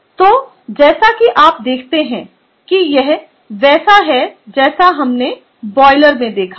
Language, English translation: Hindi, so, as you can see, this is what we have seen in boiler